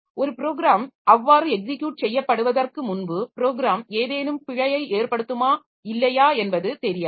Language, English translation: Tamil, Like when a program is under execution, so before a program executes so we do not know whether the program will give rise to some error or not